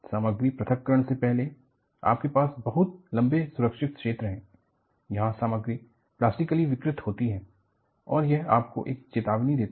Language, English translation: Hindi, This whole material separation, you have a very long safe zone, where in, the material deforms plastically and gives you a warning